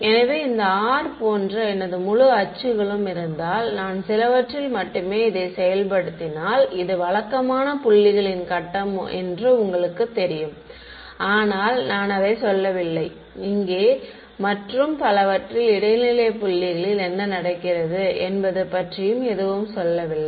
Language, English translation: Tamil, So, if I had my whole axes like this r, I am only enforcing it at some you know regular grid of points over here, but I am not saying anything about what happens at intermediate points over here, here, here and so on right